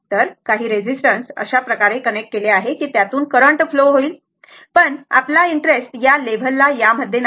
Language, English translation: Marathi, So, some resistance corrected resistance is connected such that your current will flow right, but we will we have our interest is not like that at the at this level